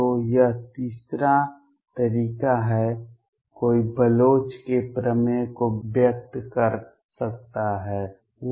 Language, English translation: Hindi, So, this is the third way, one can express Bloch’s theorem